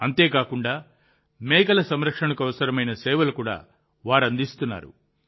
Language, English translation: Telugu, Not only that, necessary services are also provided for the care of goats